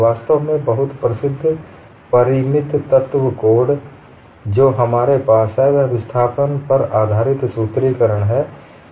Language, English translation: Hindi, In fact, the very famous finite element course that we have, that is based on displacement formulation